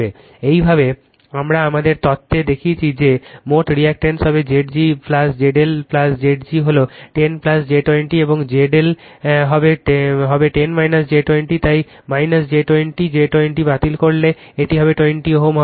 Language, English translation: Bengali, This way we have seen in our theory therefore, total impedance will be Z g plus Z l Z g is 10 plus j 20 and Z L will be 10 minus j 20, so minus j 20 plus j 20 cancels it will be 20 ohm